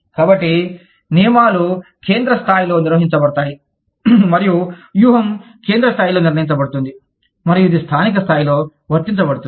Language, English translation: Telugu, So, the rules are decided at the central level, and the strategy is decided at the central level, and it is applied, at the local level